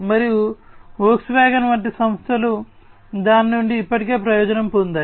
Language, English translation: Telugu, And companies like Volkswagen have already you know benefited out of it